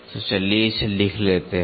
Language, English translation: Hindi, So, let us write it down